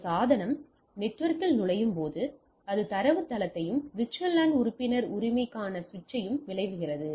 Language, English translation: Tamil, As a device enter the network it queries the database and the switch for the VLAN membership right